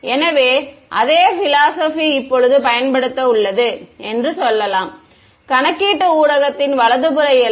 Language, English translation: Tamil, The same philosophy is going to be used now, let us say at a right hand side boundary of computational medium